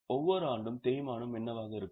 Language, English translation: Tamil, What will be the depreciation every year